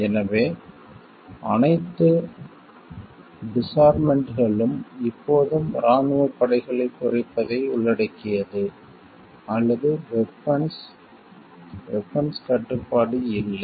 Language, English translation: Tamil, So, all the disarmaments always involves the reduction of military forces, or weapons arms control does not